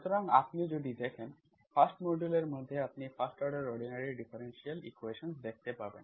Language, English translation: Bengali, So if you look at, in the 1st module you can have first order ordinary differential equations